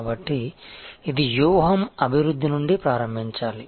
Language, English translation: Telugu, So, it has to start from the strategy development